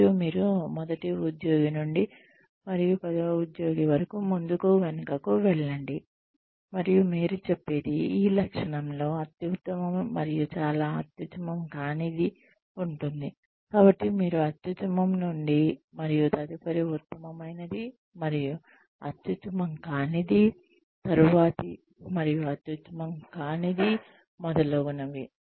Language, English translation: Telugu, And, you just go back and forth, between employee one, and employee ten, and you say, so and so is the best on this trait, so and so is the worst, so and so is the next best, so and so is the next worst, and so on